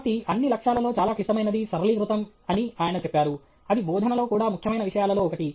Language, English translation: Telugu, So, he says the most complex of all goals is to simplify; that is also one of the important things in teaching